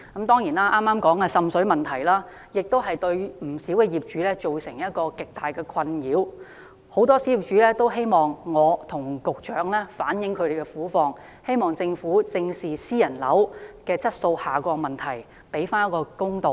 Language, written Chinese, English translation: Cantonese, 當然，剛才提及的滲水問題對不少業主造成極大的困擾，很多小業主也希望我可以向局長反映他們的苦況，希望政府正視私人樓宇的質素下降問題，還他們一個公道。, Of course the water seepage problem mentioned just now has caused great distress to many property owners and many small property owners have asked me to reflect their plight to the Secretary . Hopefully the Government will face the problem of poor quality of private buildings head - on and bring back justice to these property owners